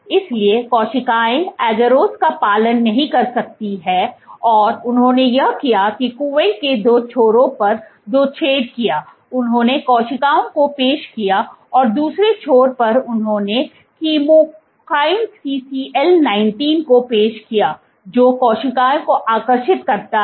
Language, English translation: Hindi, So, the cells cannot adhere to agarose and what they did then was there punched two holes on two ends of the well in one end they introduced cells and the other end they introduced chemokine CCL 19, which attracts the cells